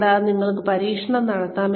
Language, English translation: Malayalam, And, you can experiment